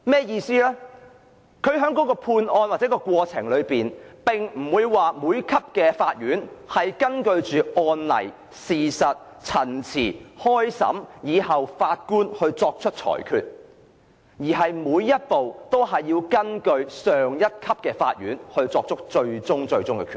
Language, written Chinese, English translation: Cantonese, 意思是，在判案時，各級法院的法官並非根據案例、事實、陳辭及審訊而最終作出裁決，而是每個步驟皆須根據上一級法院作出的最終決定。, It means that the final verdict on a case handed down by a judge at a certain level of court is not based on precedents facts submissions and trial . Rather the various proceedings are bound by the final decision of a higher court